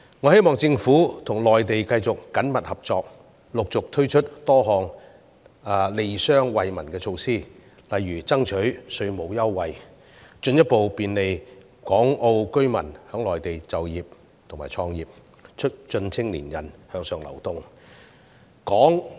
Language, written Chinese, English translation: Cantonese, 我希望政府跟內地繼續緊密合作，陸續推出多項利商惠民的措施，例如爭取稅務優惠，以進一步便利港澳居民在內地就業和創業，促進青年人向上流動。, I hope the Government will continue to work closely with the Mainland authorities and take new initiatives such as tax concessions to benefit businesses and members of the public making it easier for Hong Kong and Macao residents to work or set up businesses in the Mainland thereby enhancing the upward mobility of young people